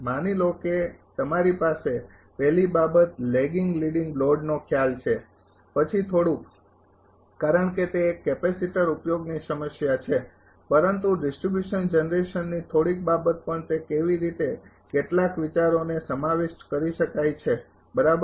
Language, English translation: Gujarati, Suppose you have first thing the concept of the lagging leading load, then little bit of because it is a capacitor application problem, but little bit of distribution generation also how it can be incorporated some ideas right